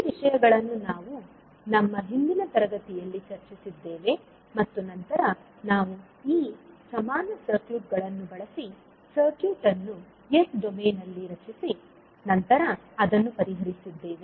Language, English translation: Kannada, So, these things we discussed in our previous class and then we, utilized these, equivalent circuits and we created the circuit in s domain and solved it